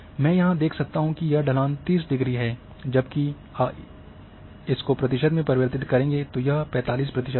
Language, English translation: Hindi, So, here I can drive here the degree of slope is 30, whereas a in percentage it would be 45